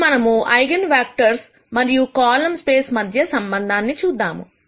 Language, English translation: Telugu, Now, let us see the connection between eigenvectors and column space